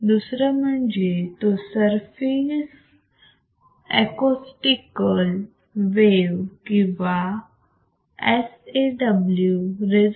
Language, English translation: Marathi, Second, a surface acoustical wave or sawSAW resonator saw resonator